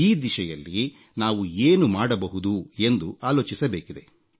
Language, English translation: Kannada, We should think about what more can be done in this direction